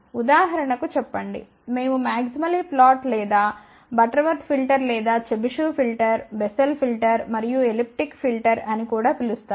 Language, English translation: Telugu, Say for example, we looked at maximally flat or Butterworth filter, or equi ripple also known as Chebyshev filter, Bessel filter and elliptic filter